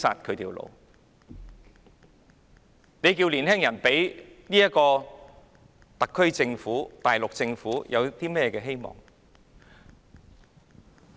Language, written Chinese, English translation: Cantonese, 試問年輕人怎會對特區政府和大陸政府有希望？, So how can young people have any hope on the SAR Government and the Mainland Government?